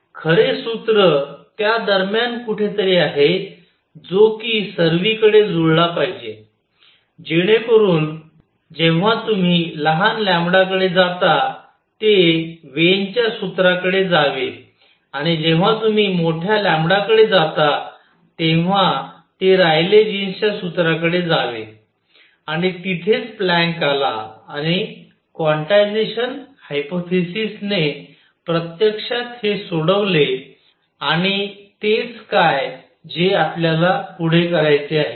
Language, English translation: Marathi, The true formula is somewhere in between that should match everywhere it should go to Wien’s formula when you go to small lambda and it is toward to Rayleigh jeans formula when you go to large lambda and that is where Planck came in and quantization hypothesis actually resolve this and that is what we want to do next